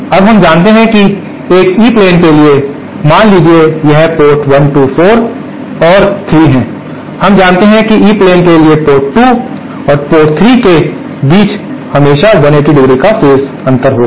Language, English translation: Hindi, Now we knew that for an E plane tee, suppose this is port 1, 2, 4 and 3, we knew that for E plane tee the phase shift between the port for and port 3 will always be 180¡